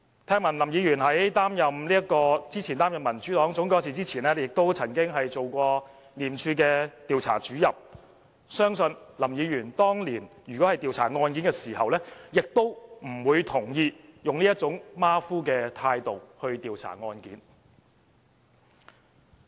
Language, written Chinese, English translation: Cantonese, 聽聞林議員過去在擔任民主黨總幹事前，曾經擔任廉署的調查主任，相信林議員當年調查案件時，也不會同意以這種馬虎的態度來調查案件。, I hear that Mr LAM was an Investigator in ICAC before working as the chief executive of the Democratic Party . Back then Mr LAM probably would disapprove of such a sloppy attitude towards investigation